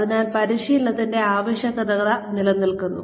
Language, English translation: Malayalam, So that, the need for training is sustained